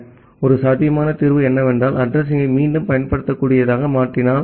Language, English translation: Tamil, So, a possible solution is that if we can make the address reusable